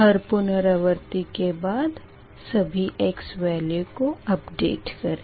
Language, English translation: Hindi, every iteration you need to update the x value